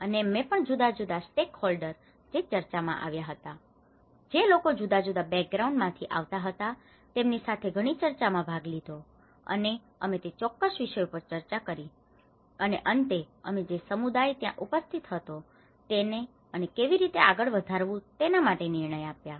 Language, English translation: Gujarati, And I was also participated in number of discussions there with various different stakeholders coming into the discussion, people from different backgrounds and we did discussed on certain themes, and finally we also present our findings to the community present over there and how to take it forward